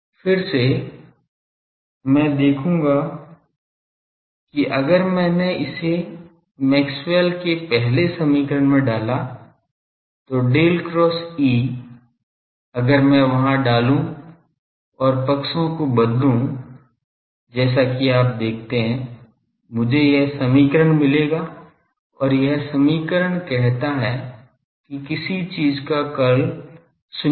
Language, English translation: Hindi, Again I will see that that if I put it into Maxwell’s first equation the del cross E there, if I put and change the sides you see that; I will get this equation and this equation say that curl of something is zero